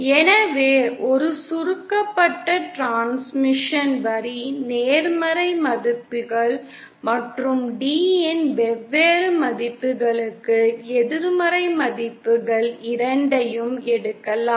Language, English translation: Tamil, So we can see a shorted transmission line can take on both positive values as well as negative values for different values of d